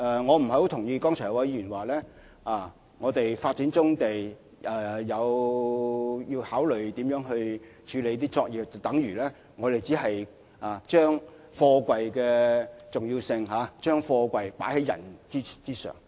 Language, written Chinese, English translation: Cantonese, 我不太同意剛才有議員的說法，指我們發展棕地時要考慮如何處理那些作業，便等如我們將貨櫃的重要性放在人之上。, I do not agree with the Members in saying that giving due consideration to handling the present brownfield operations when developing the brownfield sites is tantamount to putting containers ahead of people